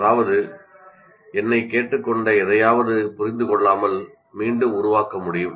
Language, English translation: Tamil, That means I can reproduce whatever I was asked to produce without even understanding it